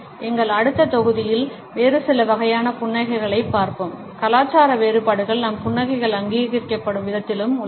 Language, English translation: Tamil, In our next module we would look at certain other types of a smiles, the cultural differences which also exist in the way our smiles are recognised